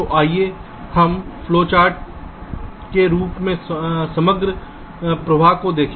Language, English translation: Hindi, so let us look at the overall flow in the form of flow chart